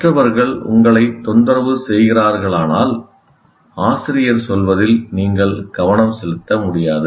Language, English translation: Tamil, If the other people are disturbing you, obviously you cannot focus on what the teacher is saying